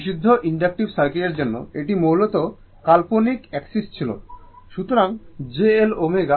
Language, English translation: Bengali, For purely inductive circuit and it was basically on the imaginary axis right; so, j L omega